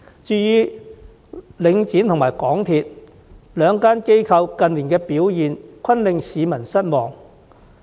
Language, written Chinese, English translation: Cantonese, 至於領展和港鐵公司，這兩間機構近年的表現均令市民感到失望。, As regards Link REIT and MTRCL the recent performance of these two companies were a disappointment to the public